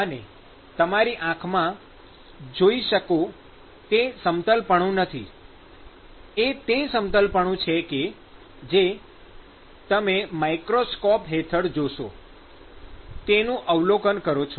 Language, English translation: Gujarati, So, it is not the smoothness that you observe in your eyes; it is the smoothness that you would observe when you see under a microscope